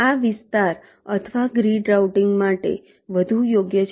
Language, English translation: Gujarati, this is more suitable for area or grid routing